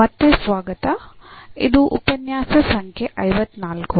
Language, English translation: Kannada, So, welcome back this is lecture number 54